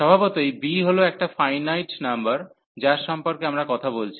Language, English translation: Bengali, Naturally, b is some finite number we are talking about